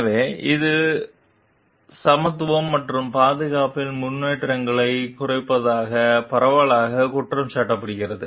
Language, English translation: Tamil, So, is which is widely blamed for slowing advances in equality and safety